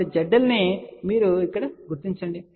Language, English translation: Telugu, So, Z L you locate over here